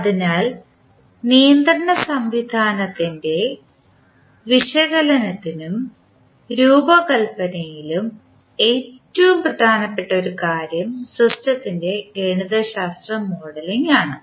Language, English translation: Malayalam, So, one of the most important task in the analysis and design of the control system is the mathematical modeling of the system